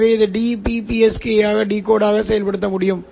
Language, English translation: Tamil, So you can use this to decode dbpsk